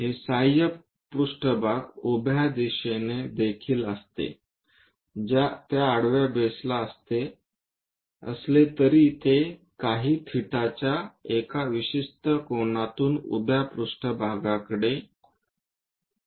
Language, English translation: Marathi, This auxiliary plane also in the vertical direction, vertical to that horizontal base however, it is an inclined to vertical plane by certain angle some theta